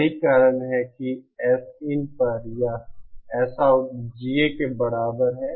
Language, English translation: Hindi, That is why this Sout upon Sin is equal to GA